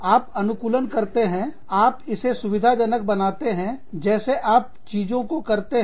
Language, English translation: Hindi, You adapt, you facilitate this, through the way, you do things